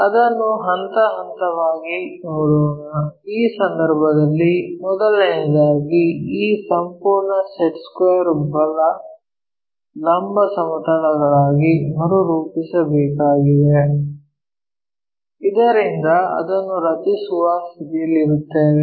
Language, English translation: Kannada, Let us look at it step by step, in that case first of all we have to realign this entire set square into right perpendicular planes so that we will be in a position to draw it